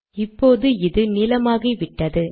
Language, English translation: Tamil, And see that this has become blue